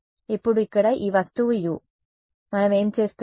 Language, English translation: Telugu, Now this object over here U over here, what are we doing